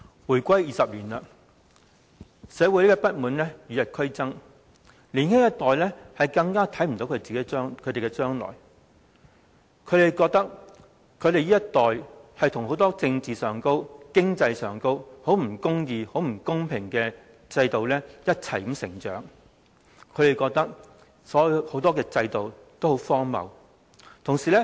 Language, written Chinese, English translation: Cantonese, 回歸20年，社會不滿與日俱增，年輕一代更看不到將來，他們覺得這一代與很多政治和經濟上的不公義及不公平的制度一同成長，亦認為很多制度都很荒謬。, The young generation cannot see their future . They think that people of their generation have to bear many unjust and unfair political and economic systems as they grow up . They find many systems ridiculous